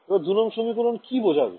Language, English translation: Bengali, So, what does equation 2 remind you of